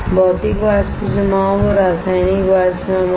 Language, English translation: Hindi, Physical Vapor Deposition and Chemical Vapor Deposition